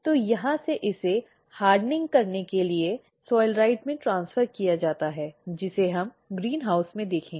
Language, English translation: Hindi, So, from here it is transferred into the soilrite for hardening, which we will see in the greenhouse